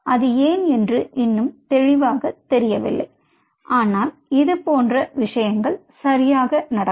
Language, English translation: Tamil, it is still not clear why is it so, but such things does happen